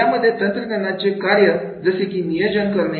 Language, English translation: Marathi, Then the functions of the technology like in planning